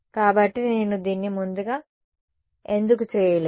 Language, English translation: Telugu, So, why did not I do this earlier